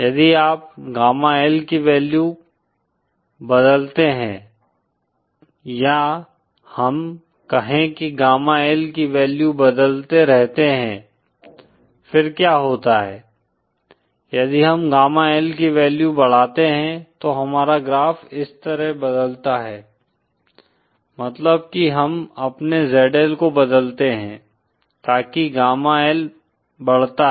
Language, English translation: Hindi, If you change the value of Gamma L, say we keep on changing the value of gamma L, then what happens is, say if we increase the value of gamma L, then our graph changes like this, That is we change our ZL so that gamma L increases